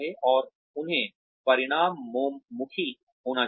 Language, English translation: Hindi, And, they should be results oriented